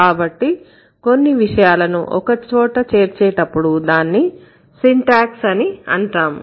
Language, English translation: Telugu, So, when you are putting together certain things you might call it syntax